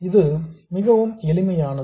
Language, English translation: Tamil, It is very, very simple